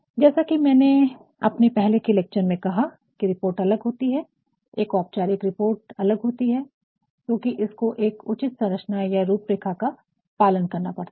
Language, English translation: Hindi, As, I said in the previous lecture, that a report is different, a formal report is different, because it has to follow a proper structure a proper layout